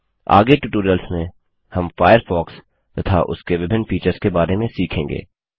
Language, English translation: Hindi, In future tutorials, we will learn more about the Firefox interface and various other features